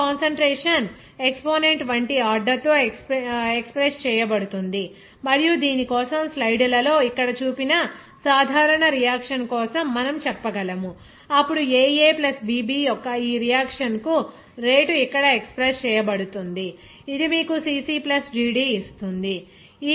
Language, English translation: Telugu, Now, each concentration is expressed with an order like exponent and for that we can say for the general reaction of this shown in here in the slides, then rate can be expressed by this here for this reaction of aA + bB which will give you the cC plus dD